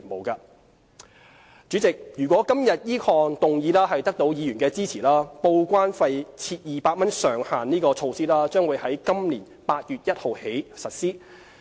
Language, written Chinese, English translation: Cantonese, 代理主席，如果今天此項決議案得到議員支持，報關費設200元上限的措施將於今年8月1日起實施。, Deputy President subject to Members support for this resolution the 200 cap on TDEC charges will come into effect on 1 August 2018